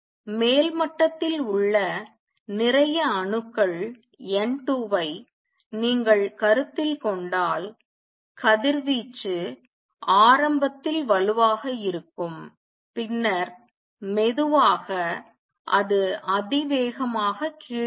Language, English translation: Tamil, Is if you consider a lot of atoms N 2 in the upper level when the radiate the radiation initially is going to be strong and slowly it will come down exponentially